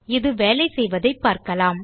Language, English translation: Tamil, So we can see how this works